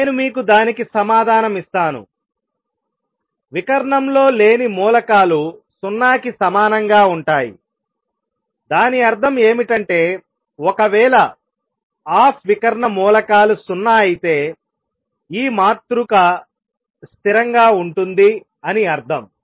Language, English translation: Telugu, Let me give you the answer the off diagonal elements then we will justify it r equal to 0; that means, if the off diagonal elements are 0; that means, this matrix is a constant